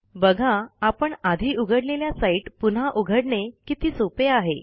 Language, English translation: Marathi, See how easy it is to go back to a site that you visited before